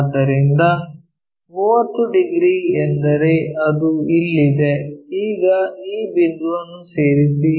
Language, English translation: Kannada, So, 30 degrees means here now join these points